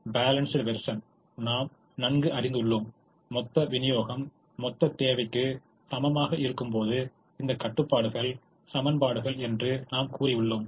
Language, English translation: Tamil, we also studied the balanced version where we said that these constraints are equations when the total supply is equal to the total demand